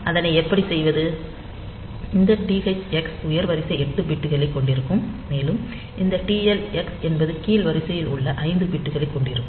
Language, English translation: Tamil, So, how to do it; so, this THx will hold the higher order 8 bits and this TL x will have the lower order 5 bits